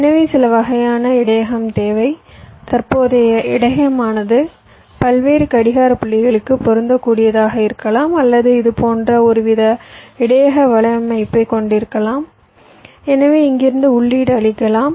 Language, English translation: Tamil, so you need some kind of a buffer, either a current buffer which can be fit to a number of different clock points, or you can have a some kind of a network of buffers like this, so from here you can possibly feed